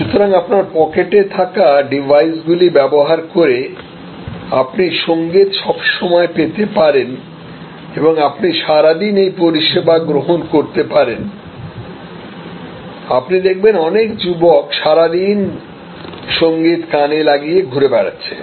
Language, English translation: Bengali, So, use the devices in your pocket, the music is streamed and you are in the service flow throughout the day you will see many young people going around the whole day with the music plugged into their ears